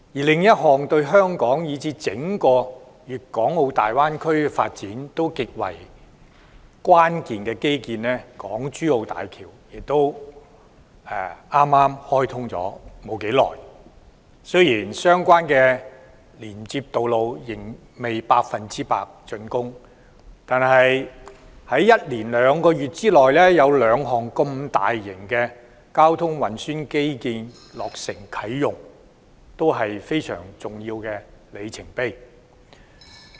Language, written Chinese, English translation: Cantonese, 另一項對香港以至整個粵港澳大灣區發展極為關鍵的基建——港珠澳大橋——亦剛開通不久，雖然相關的連接道路仍未全部竣工，但在連續兩個月內有兩項大型交通運輸基建落成啟用，是非常重要的里程碑。, The Hong Kong - Zhuhai - Macao Bridge another infrastructure project which plays a critical role in the development of Hong Kong and even the entire Guangdong - Hong Kong - Macao Greater Bay Area was also commissioned recently though the connecting roads are yet to be fully completed . The consecutive commissioning of two large - scale transport infrastructure projects in two months is indeed a most significant milestone